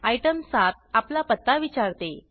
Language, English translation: Marathi, Item 7 asks for your address